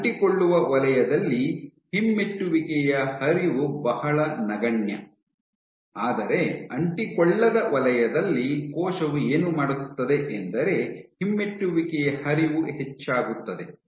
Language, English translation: Kannada, So, what the cell does is the retrograde flow is very negligible in an adherent zone, but what the cell does in the non adherent zone the retrograde flow increases